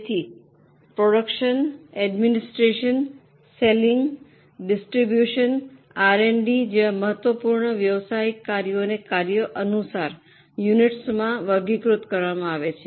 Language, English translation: Gujarati, So, important business functions like production, administration, selling distribution, R&D, the business is normally divided into units as for the functions